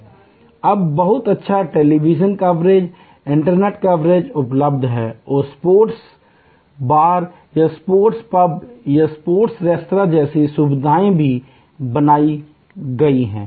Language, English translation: Hindi, Now, extensive very good television coverage or on the net coverage is available and facilities like sports bar or sports pubs or sport restaurants have been created